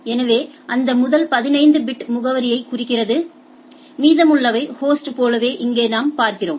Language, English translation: Tamil, So, that first 15 bit represent the address and the rest represent the host like here what we see right